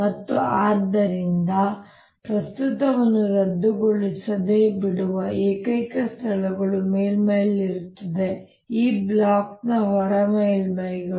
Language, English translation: Kannada, and therefore the only places where the current is going to be left without being cancelled is going to be on the surfaces, outer surfaces of this block